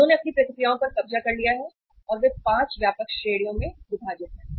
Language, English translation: Hindi, They have captured their reactions and they divided into 5 uh broad categories